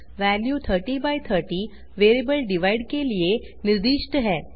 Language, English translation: Hindi, 30/30 is assigned to the variable $divide